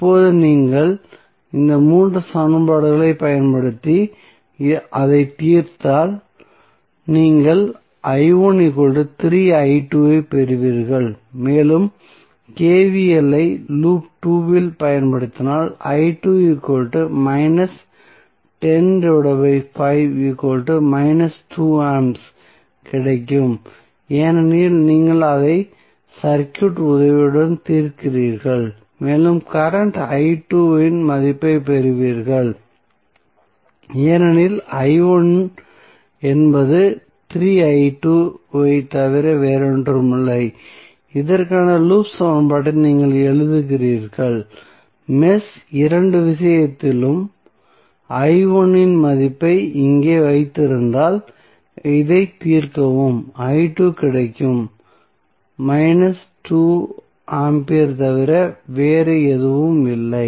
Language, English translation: Tamil, Now, if you use these three equations and solve it you will get i 1 is equal to 3i 2 and using KVL in loop 2 you will simply get i 2 is nothing but minus 10 divided by 5 because you solve it with the help of the circuit and you get the value of current i 2 because i 1 is nothing but 3i 2 and you write the loop equation for this, this is what you have used in case of mesh two put the value of i 1 here, solve it you will get i 2 is nothing but minus 2 ampere